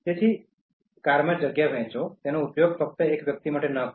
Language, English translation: Gujarati, So, share the space in cars, do not use it only for an individual